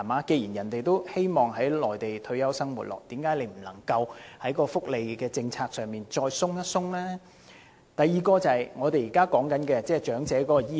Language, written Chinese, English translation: Cantonese, 既然長者想在內地過其退休生活，那為何政府不在福利政策上放寬一點以便利這些長者呢？, Given that they wish to live on the Mainland upon retirement why not relax the welfare policy a bit to facilitate their such needs?